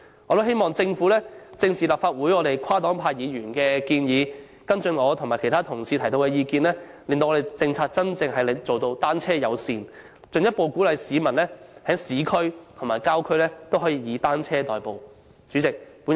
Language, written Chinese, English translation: Cantonese, 我亦希望政府正視立法會跨黨派議員的建議，跟進我和其他同事提出的意見，推行真正單車友善的政策，進一步鼓勵市民在市區及郊區以單車代步。, I also hope that the Government will address squarely the proposals put forth by Members from the various political parties and groupings in the Legislative Council and follow up the opinions expressed by other Honourable colleagues and me so as to implement a truly bicycle - friendly policy to further encourage the public to commute by bicycles in both the urban and rural areas